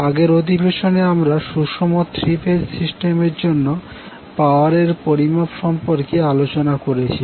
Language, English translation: Bengali, In last session we were discussing about the power measurement for a three phase balanced system